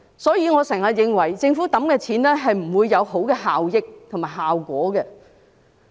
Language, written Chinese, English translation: Cantonese, 因此，我經常認為政府投放的金錢不會達致良好效益和效果。, Thus I often think that the money injected by the Government will not be cost effective and achieve good results